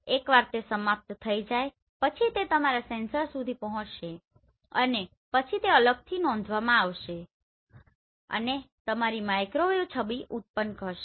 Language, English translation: Gujarati, So once it is over then it will reach to your sensor and then they will be recorded separated and your microwave image will be generated